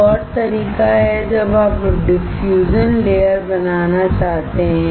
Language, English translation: Hindi, Another way is when you want to create the diffusion layer